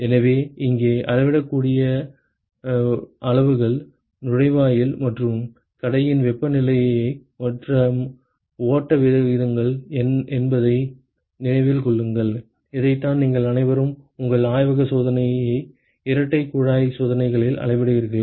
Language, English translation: Tamil, So, remember that the measurable quantities here are the inlet and the outlet temperatures and the flow rates, which is what all of you have measured in your lab experiment double pipe experiments